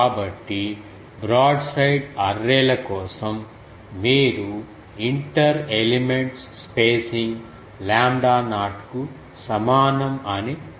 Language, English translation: Telugu, So, you can make that for broadside arrays you can say that inter elements spacing is equal to lambda not